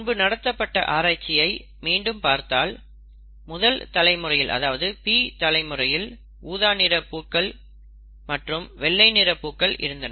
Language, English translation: Tamil, Therefore, if you look at the earlier experiment again, the P generation had purple flowers, white flowers